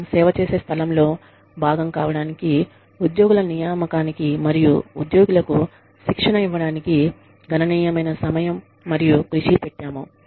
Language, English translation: Telugu, Significant amount of time and effort, has gone into the recruitment of employees, and to training employees, into helping them, become a part of the organization that, we serve